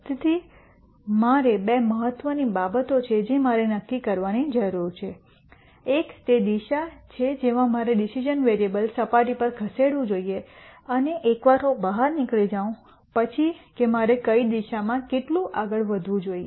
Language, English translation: Gujarati, So, there are two important things that I need to decide, one is the direction in which I should move in the decision variable surface and once I figure out which direction I should move in how much should I move in the direction